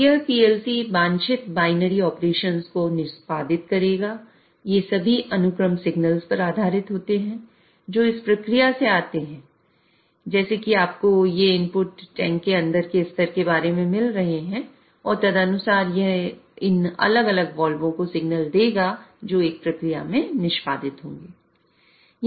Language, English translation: Hindi, So, these PLCs would execute the desired binary operations, all these sequences based on the signals which come from the process like here you are getting these inputs about the level inside the tank and accordingly it will give signals to these different walls and which will be executed in a process